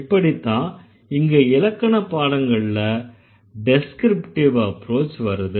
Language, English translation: Tamil, That is how we got the descriptive approach of grammar studies